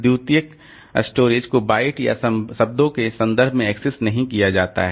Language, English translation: Hindi, As I said that unlike primary storage, secondary storage is not accessed in terms of bytes or words